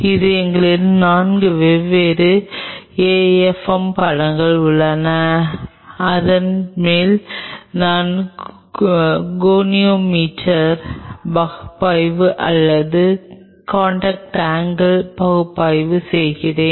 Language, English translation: Tamil, So, I have 4 different afm images, and then on top of that I do a goniometer analysis or contact angle analysis